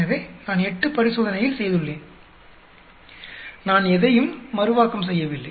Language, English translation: Tamil, So, I have done 8 experiments, I have not replicated anything